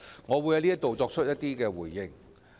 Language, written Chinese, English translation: Cantonese, 我希望在此作出回應。, I would like to give a response here